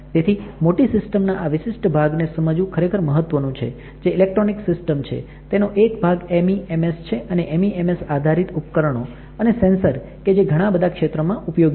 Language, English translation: Gujarati, So, it is really important to understand this particular part of a bigger umbrella which is electronic systems, a part of this is MEMS and MEMS based devices and sensors are used in several fields